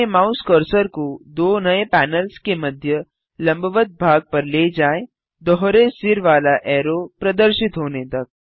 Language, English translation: Hindi, Move your mouse cursor to the horizontal edge between the two new panels till a double headed arrow appears